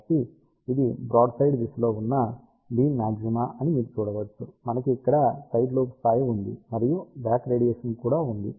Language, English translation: Telugu, So, you can see that this is the beam maxima in broadside direction, we have a side lobe level over here and there is a back radiation also